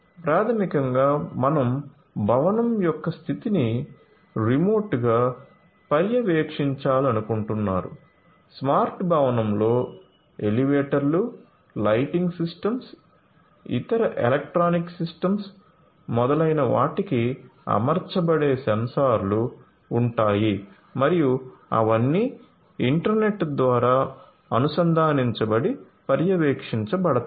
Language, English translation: Telugu, So, basically you want to monitor the condition of the building remotely you know in a smart building there would be sensors that would be fitted to elevators, lighting systems, other electronic systems, etcetera and they are all going to be connected and monitored through the internet